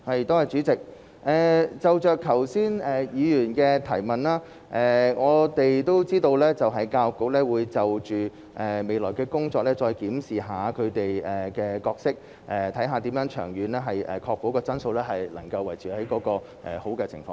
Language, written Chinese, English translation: Cantonese, 代理主席，關於議員剛才的補充質詢，我們知道教育局會就其未來的工作再檢視本身的角色，看看如何長遠確保質素能維持在良好狀況。, Deputy President regarding the supplementary question raised by the Member just now we know the Education Bureau will review its role in its future work and see how the good quality can be maintained in the long term